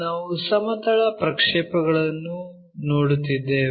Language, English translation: Kannada, Here, we are looking at Projections of planes